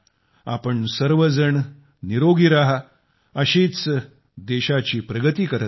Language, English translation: Marathi, May all of you stay healthy, keep the country moving forward in this manner